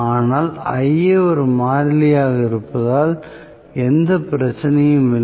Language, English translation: Tamil, But, Ia can remain as a constant, no problem